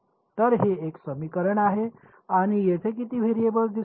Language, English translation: Marathi, So, this is one equation and how many variables will appear over here